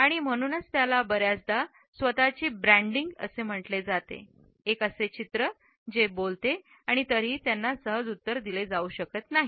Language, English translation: Marathi, And therefore, they are often termed as a self branding, a scar that speak and yet cannot be replied to easily